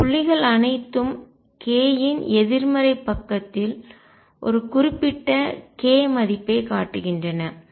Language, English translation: Tamil, All these points show one particular k value on the negative side of k also